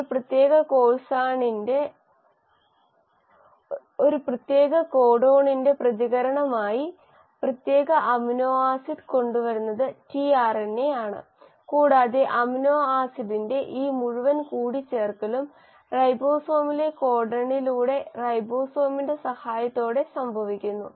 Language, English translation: Malayalam, It is the tRNA which in response to a specific codon will bring in the specific amino acid and this entire adding of amino acid happens codon by codon in the ribosome, with the help of ribosome